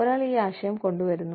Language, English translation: Malayalam, One person comes up with the concept